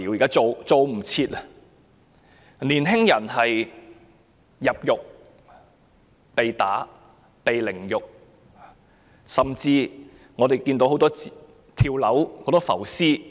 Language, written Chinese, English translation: Cantonese, 有年輕人在入獄後被毆打凌辱，甚至出現眾多"跳樓案"、"浮屍案"。, Some young people have been subjected to assault and insult during detention and many cases involving fall to death and floating corpse have even been reported